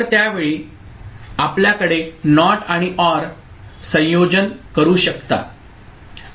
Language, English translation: Marathi, Then at that time you can have NOT and OR combination ok